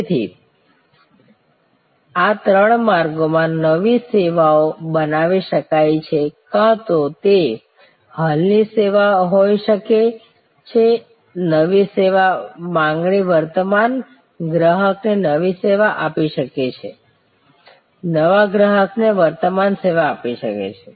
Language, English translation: Gujarati, So, new services can be created in these three trajectories either it can be existing service offered new service offer to existing customer existing service offer to new customer